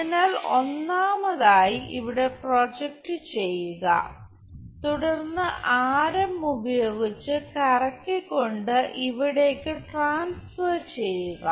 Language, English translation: Malayalam, So, first of all project there and then transfer it by radius rotating it there